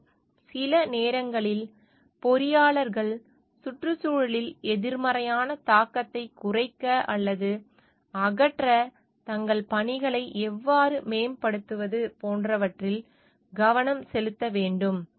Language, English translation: Tamil, And sometimes the engineers need to focus on like how to improve their works to reduce or eliminate negative impact on the environment